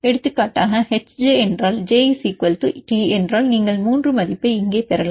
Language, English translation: Tamil, For example, if H j, if j is T you can obtain 3 value here you can obtain the values